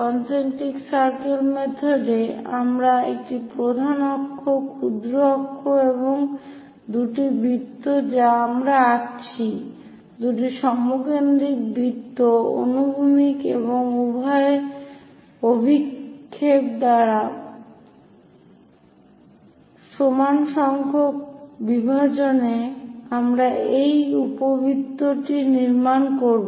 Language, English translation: Bengali, In concentric circle method, we have major axis, minor axis and two circles we draw, two concentric circles by horizontal and vertical projections on equal number of divisions we will construct these ellipse